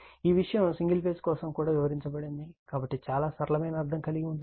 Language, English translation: Telugu, This thing has been explained also for single phase right, so meaning is very simple